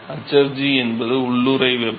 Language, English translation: Tamil, hfg is the latent heat